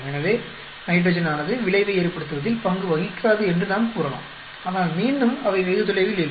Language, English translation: Tamil, So, we can say nitrogen does not play a role, but again they are not very far away